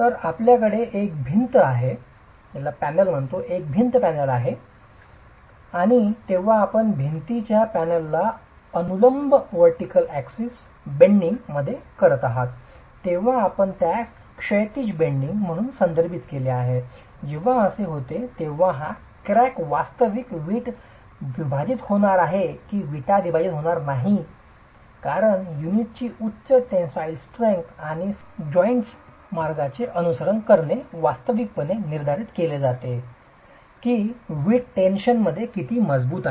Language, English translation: Marathi, So, you have a wall panel and when you subject the wall panel to bending about a vertical axis, we refer to that as horizontal bending, when that happens whether this crack is actually going to split the brick or not split the brick because of a high tensile strength of the unit and follow the path of the joints is actually determined by how strong the brick is in tension